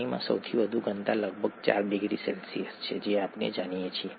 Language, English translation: Gujarati, The water has highest density at around 4 degree C that we know